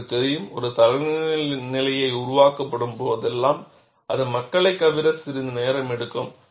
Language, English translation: Tamil, You know, whenever a standard is developed, for it to percolate down to people, it takes some time